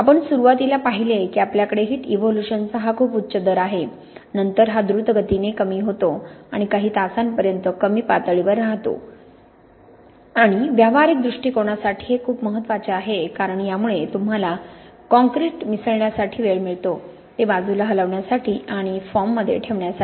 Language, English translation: Marathi, We see at the beginning we have this very high rate of heat evolution, then this falls away quickly and remains at a low level for several hours and that’s very important for a practical point of view because this gives you the time to mix your concrete, to move it to the side and to put it in the forms